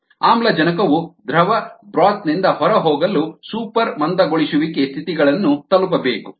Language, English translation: Kannada, for oxygen to go out of the liquid broth you need to reach super saturated conditions